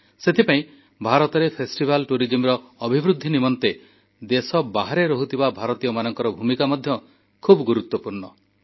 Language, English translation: Odia, Hence, the Indian Diaspora has a significant role to play in promoting festival tourism in India